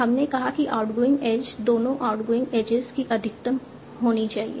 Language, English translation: Hindi, We said the outwing age should be the maximum of both the outgoing age